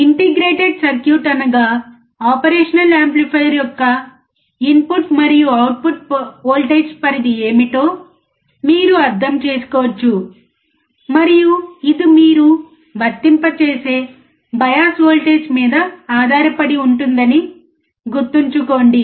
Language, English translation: Telugu, You can understand what is the input and output voltage range of the integrated circuit, that is your operational amplifier and also remember that it depends on the bias voltage that you are applying